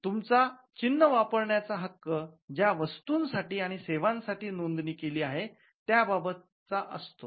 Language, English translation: Marathi, So, your right to use the mark is confined to the goods and services for which it is registered